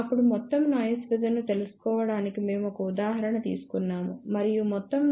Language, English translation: Telugu, Then we took one example to find out overall noise figure and we found out that overall noise figure is 2